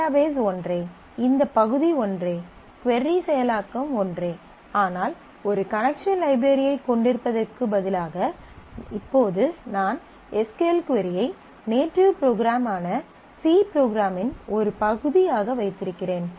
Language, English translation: Tamil, The database is the same; this part is the same; the query processing is same, but instead of having a connection library, now I have put the SQL query itself as a part of the native program, the C program